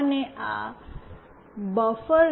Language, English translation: Gujarati, And this buffer